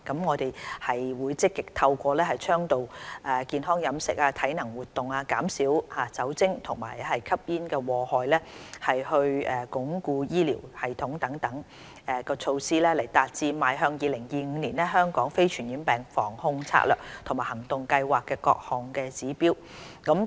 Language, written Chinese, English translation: Cantonese, 我們將積極透過倡導健康飲食、體能活動、減少酒精和吸煙禍害，以及鞏固醫療系統等措施來達致《邁向 2025： 香港非傳染病防控策略及行動計劃》的各項指標。, With active implementation of such measures as promotion of healthy diets and physical activities reduction in alcohol and tobacco - related harms and strengthening of the health care system we strive to meet various indicators put forth in the Towards 2025 Strategy and Action Plan to Prevent and Control Non - communicable Diseases in Hong Kong